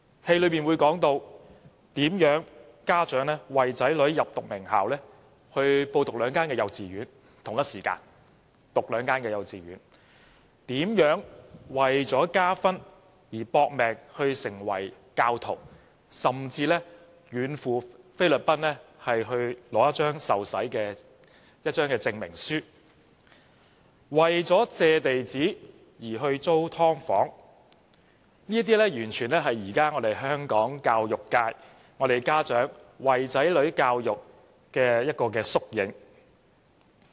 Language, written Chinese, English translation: Cantonese, 劇情之一提到，家長為了讓子女入讀名校，要小朋友同時入讀兩間幼稚園；為了加分，如何"搏命"成為教徒，甚至遠赴菲律賓，只為取得一張受洗證明書；為了借地址報讀學校，便去租"劏房"，這些完全是在現今香港教育界，家長如何為子女教育籌謀的縮影。, To score more points under the admission system the parents make all - out efforts to become Catholics to the extreme of going to the Philippines for a certificate of baptism . In order to get a right address for school admission they rent a subdivided unit . All these anecdotes are real - life incidents reflecting the great efforts made by parents to ensure better education opportunities for their children